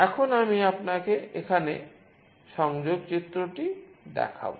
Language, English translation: Bengali, Now, I will just show you the connection diagram here